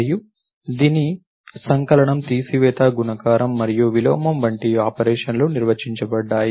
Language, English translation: Telugu, And it has operations like addition, subtraction, multiplication and inverse defined on it